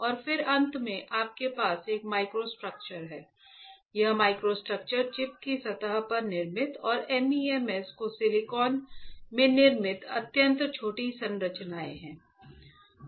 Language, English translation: Hindi, So, and then finally, you have a microstructures this microstructures are extremely small structures built onto surface of chip and built right into silicon of MEMs; will be looking at the microstructures in a while